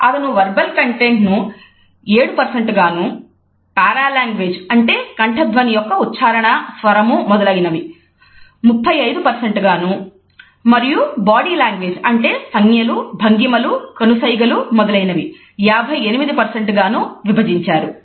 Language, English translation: Telugu, He had put verbal content at 7% paralanguage that is tone of the voice intonations inflections etcetera, at 35% and body language that is gestures postures eye contact etcetera at 58%